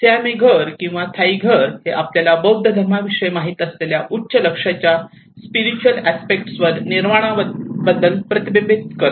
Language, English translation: Marathi, Whereas the Siamese house or the Thai house it reflects to the spiritual aspects of the highest goal you know of the Buddhism which is talking about the Nirvana